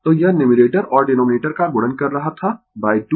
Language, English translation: Hindi, So, this was your multiplying numerator and denominator by 2